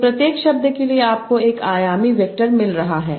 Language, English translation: Hindi, So for each word you are getting a D dimensional vector